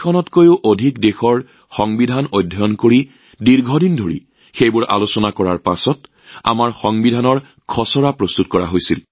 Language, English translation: Assamese, The Draft of our Constitution came up after close study of the Constitution of over 60 countries; after long deliberations